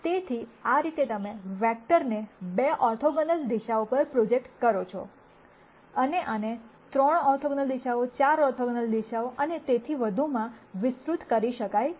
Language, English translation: Gujarati, So, this is how you project a vector on to 2 orthogonal directions, and this can be extended to 3 orthogonal directions 4 orthogonal directions and so on